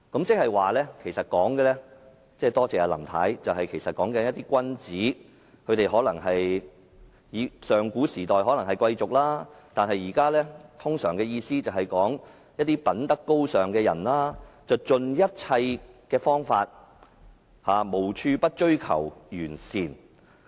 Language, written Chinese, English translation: Cantonese, 即是說一些君子——多謝林太——在上古時代，所指的可能是貴族，但現代通常是指品德高尚的人用盡一切方法，無處不追求完善。, That means superior men―thank you Mrs LAM―probably referring to aristocrats in the ancient times and those who excel in virtues in modern times use their utmost endeavours in pursuit of perfection